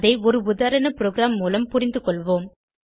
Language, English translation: Tamil, Let us understand the same using a sample program